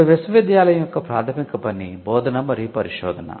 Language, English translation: Telugu, The traditional functions of the university pertain to teaching and research